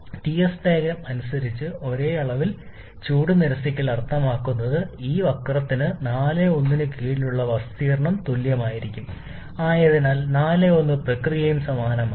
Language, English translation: Malayalam, Same amount of heat rejection means as per the T s diagram, the area under this particular curve 4 to 1 has to be the same, so process 4 to 1 is also same